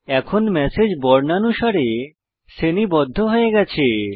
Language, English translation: Bengali, The messages are now sorted in an alphabetical order